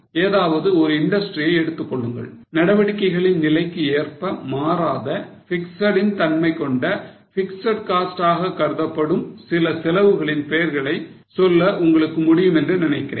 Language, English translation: Tamil, Just think of any industry and I think you will be able to name certain costs which are fixed in nature which do not change irrespective of level of activity